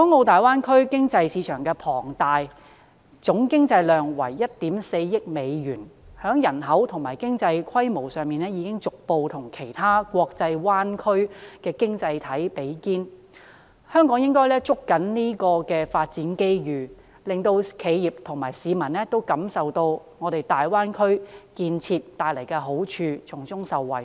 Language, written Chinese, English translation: Cantonese, 大灣區經濟市場規模龐大，總經濟量為 14,000 億美元，在人口和經濟規模上已逐步與其他國際灣區經濟體比肩，香港應該捉緊發展機遇，令企業和市民都感受到大灣區建設帶來的好處，從中受惠。, The Greater Bay Area has a mega - scale economic market with US1,400 billion in economic aggregates . Its population and economic scale are gradually on a par with other international bay areas and economies . Hong Kong should grasp the development opportunities properly so that the enterprises and the public can understand and benefit from the advantages brought by the development of the Greater Bay Area